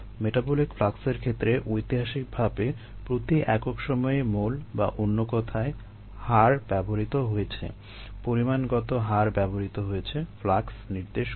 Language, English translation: Bengali, in the case of metabolic flux, historically moles per time, another, its, a rate has been used, ah, an amount rate has been used to indicate flux